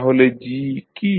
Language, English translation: Bengali, What is g